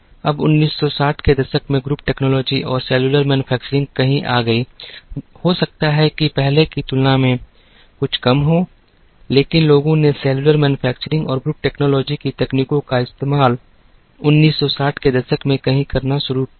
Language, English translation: Hindi, Now, group technology or cellular manufacturing came somewhere in the 1960s, may be little earlier than that, but people started using the techniques of cellular manufacturing and group technology somewhere in the 1960s